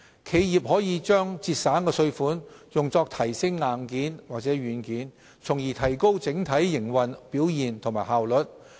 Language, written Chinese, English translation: Cantonese, 企業可把省下的稅款用作提升硬件或軟件，從而提高整體營運表現及效率。, The tax savings by enterprises can be reinvested in upgrading their hardware or software thereby boosting their overall operation and efficiency